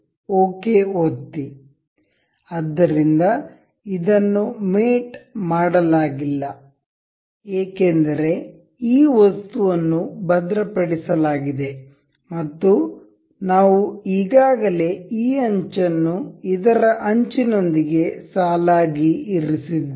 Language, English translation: Kannada, So, it is not mated because this item is fixed and we have already aligned this edge with the edge of this